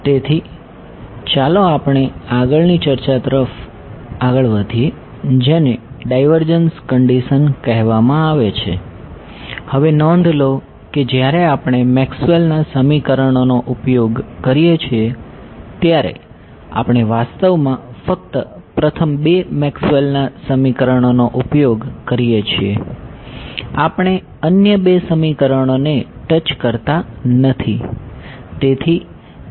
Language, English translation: Gujarati, So, let us move to the next discussion which is what Divergence Conditions, now notice that when we use our Maxwell’s equations we actually use only the first two Maxwell’s equation, we do not touch the other two equations